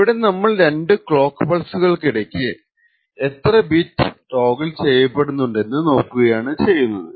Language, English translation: Malayalam, So here we actually look at the number of bits that toggle from one clock pulse to another